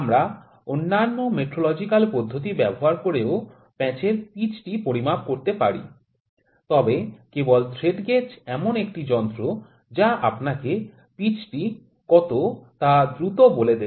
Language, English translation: Bengali, We can measure the pitch of the thread using other metrological method, but the thread gauge is one instrument that will just give you quickly what is the pitch